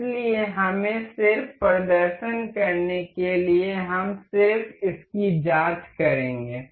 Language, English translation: Hindi, So, let us just for just demonstration, we will just check this